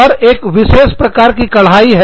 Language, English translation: Hindi, And, the embroidery is of, a specific kind